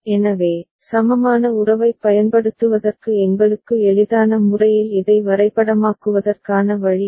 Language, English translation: Tamil, So, this is the way to map it in a manner which is easier for us to apply the equivalence relationship